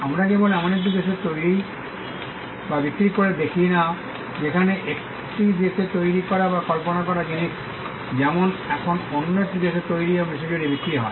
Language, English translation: Bengali, Not just manufactured and sold the fact that we live in a world where things that are created or conceived in a country as now manufactured in another country and sold across the globe